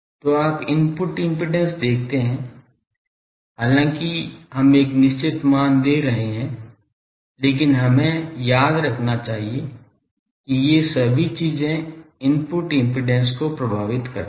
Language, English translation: Hindi, So, you see input impedance, though we are giving a certain values, but we should remember that all these things effect this input impedance